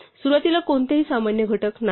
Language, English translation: Marathi, Initially there are no common factors